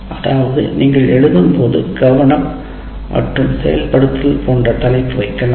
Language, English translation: Tamil, That means when you are writing, you can actually put title like attention and activation